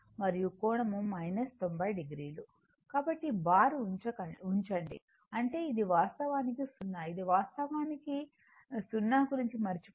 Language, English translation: Telugu, So, put bar; that means, it is actually 0, it is actually forget about 0